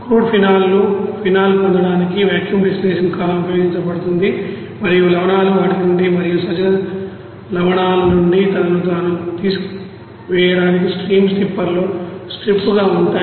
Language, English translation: Telugu, Vacuum distillation column is used to get phenol from crude phenol and remain salts are strip in a you know stream stripper to remove himself from them and aqueous salts